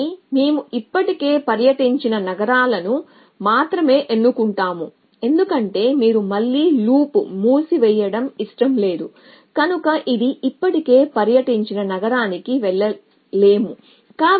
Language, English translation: Telugu, But we will only choose those cities which first of all it has not already tour, because you do not wonder close the loop again so it cannot go to city which it has already tour essentially